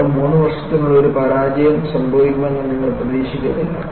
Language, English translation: Malayalam, And, you do not expect a failure to happen in just 3 years